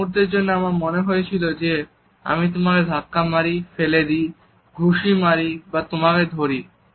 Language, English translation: Bengali, I had a moment where I was kind of wanting to push you or shove you or punch you or grab you